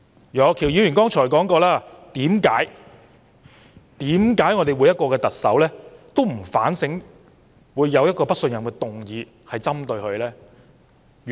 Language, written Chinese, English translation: Cantonese, 楊岳橋議員剛才提到，每位特首面對針對自己的"不信任"議案，為何都不作反省？, Mr Alvin YEUNG asked just now why Chief Executives never engaged in any soul - searching in the face of no - confidence motions against them